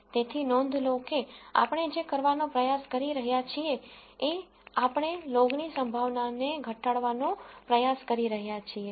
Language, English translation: Gujarati, So, notice that what we are trying to do is we are trying to minimize a log likelihood